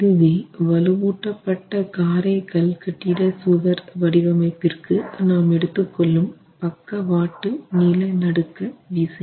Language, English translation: Tamil, So, this is lateral seismic force which we can use for a reinforced masonry wall